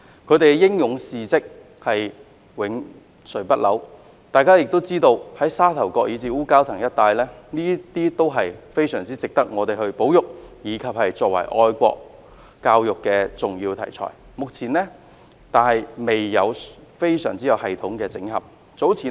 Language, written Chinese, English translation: Cantonese, 他們的英勇事蹟永垂不朽，大家也知道，沙頭角以至烏蛟騰一帶，都非常值得我們保育，以及作為愛國教育的重要題材，但目前未有系統性整合。, Their heroic deeds will never be forgotten . As we all know the areas from Sha Tau Kok to Wu Kau Tang are very much worthy of our conservation . They also provide major topics and materials for patriotic education but they have yet to be collated and consolidated systematically so far